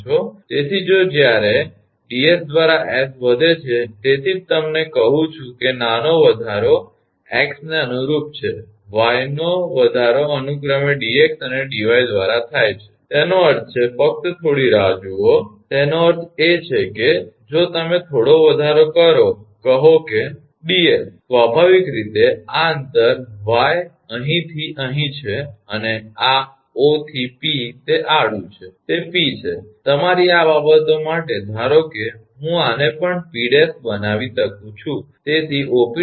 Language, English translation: Gujarati, So, if when s is increases by ds that is why tell you that small increment is corresponding to x and y are increased by dx and dy respectively; that means, just hold on; that means, if you little bit of increase say ds, naturally this distance is y from here to here and this O to P that horizontal one it is P, for your this things suppose I can make this one also P dash